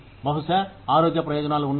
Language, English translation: Telugu, Maybe, have health benefits